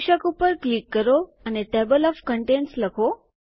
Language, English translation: Gujarati, Click on the title and type Table of Contents